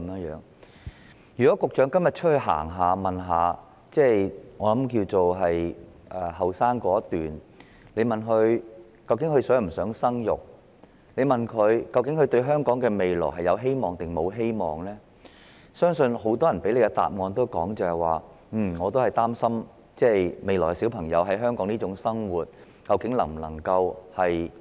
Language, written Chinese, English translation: Cantonese, 如果局長今天到外邊走一趟，詢問年輕一代是否想生育、他們對於香港的未來是否存有希望等，我相信很多人會給予局長這一答覆："我擔心孩子將來在香港能否過正常生活。, If the Secretary takes a stroll outside today and asks the young generation whether they want to have children and whether they are hopeful about Hong Kongs future I believe many of them will give the Secretary this reply I am worried about whether my children can live a normal life in Hong Kong in the days ahead